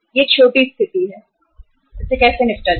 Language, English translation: Hindi, This is a small uh situation, how to deal with this